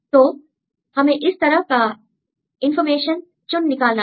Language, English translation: Hindi, So, then we have to extract this type of information